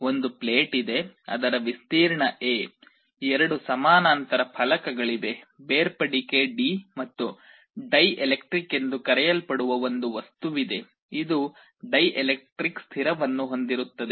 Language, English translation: Kannada, There is a plate whose area is A, there are two parallel plates, the separation is d, and there is a material in between called dielectric, which has a dielectric constant